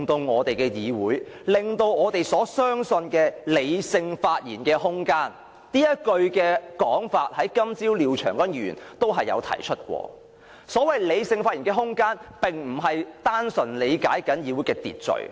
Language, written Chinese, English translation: Cantonese, 我的意思是，我們所相信的理性發言的空間——這種說法，廖長江議員今天早上亦有提出——並非單純理解為議會的秩序。, What I mean is the room to make rational speeches that we have faith in―well the way I put it now was also present in Mr Martin LIAOs speech of this morning―is not simply taken as a matter of the Councils order of business